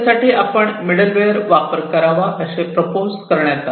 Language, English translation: Marathi, So, it is proposed that we could use some sort of a middleware